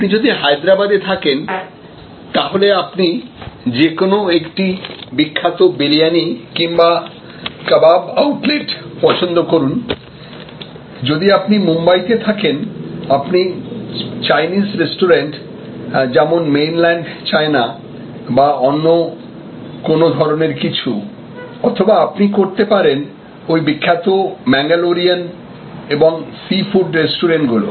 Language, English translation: Bengali, So, if you are in Hyderabad, you can choose a famous Briyani and Kabab outlet, if you are in Mumbai, you can choose Chinese restaurant like Mainland China or any other variety, you could choose some of those famous Mangalorean and sea food restaurants and so on